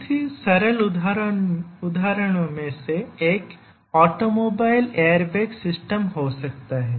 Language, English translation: Hindi, One of the very simple example may be an automobile airbag system